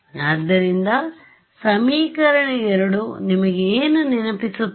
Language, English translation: Kannada, So, what does equation 2 remind you of